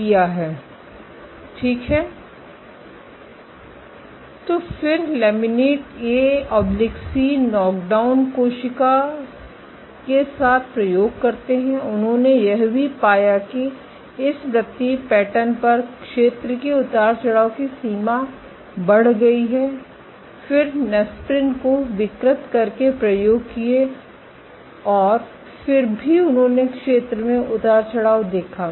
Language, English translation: Hindi, So, they then experiment with lamin A/C knock down cells also found that with this on the circular patterns the extent of area fluctuation increased, increased then did experiments by perturbing Nesprin and still they observed area fluctuations